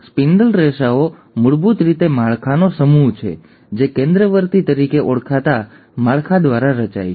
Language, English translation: Gujarati, The spindle fibres are basically a set of structures which are formed by what is called as the centrosome